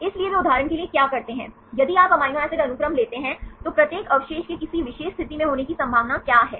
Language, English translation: Hindi, So, what they do for example, if you take the amino acids sequence, what is the probability of each residue to be in a particular position